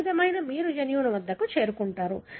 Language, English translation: Telugu, So, this is how you arrive at the gene